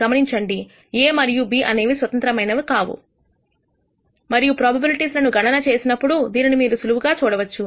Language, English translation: Telugu, Notice that A and B are not independent and which you can easily verify by computing the probabilities also